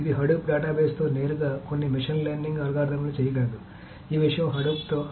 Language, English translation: Telugu, So it can do certain machine learning algorithms directly with Hadoop database